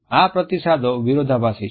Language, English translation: Gujarati, These responses are contradictory